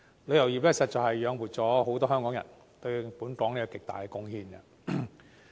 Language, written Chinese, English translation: Cantonese, 旅遊業實在養活了很多香港人，對本港作出極大貢獻。, The tourism industry has supported many Hong Kong people and made great contributions to Hong Kong